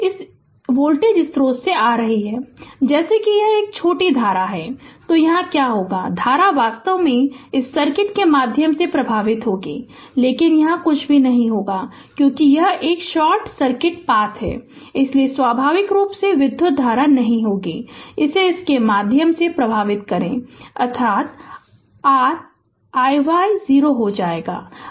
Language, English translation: Hindi, Coming from this voltage source, ah as soon as you short it, so what will happen the current actually ah will flow through this circui[t] will flow through this circuit, but there will be nothing here, because it is a short circuit path, so naturally current will not flow through this, that means, your i y will become 0 right